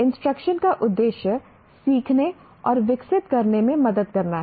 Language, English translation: Hindi, Instruction, the purpose of instruction is to help learn and develop